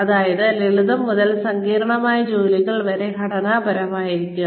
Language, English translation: Malayalam, Be structured, from simple to complex tasks